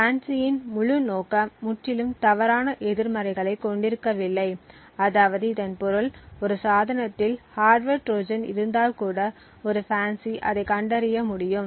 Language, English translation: Tamil, The entire aim of FANCI is to completely have no false negatives, which means that if a hardware Trojan is present in a device a FANCI should be able to detect it